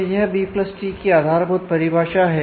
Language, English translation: Hindi, So, this is the basic observe definition of a B + tree